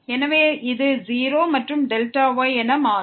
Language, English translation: Tamil, So, this will become 0 and delta